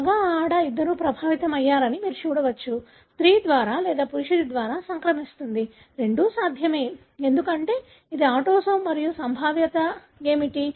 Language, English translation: Telugu, You can see that male, female both are affected; transmitted by either by a female or by a male; both are possible, because it is autosome and what is the probability